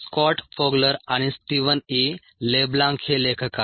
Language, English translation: Marathi, the authors are scott fogler and steven e leblanc